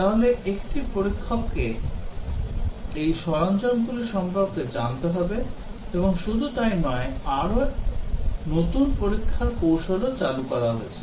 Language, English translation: Bengali, So, a tester needs to know about these tools and not only that newer testing techniques have been introduced